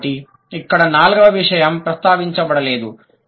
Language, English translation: Telugu, So, the fourth point is not mentioned here